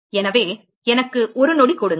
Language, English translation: Tamil, So give me a second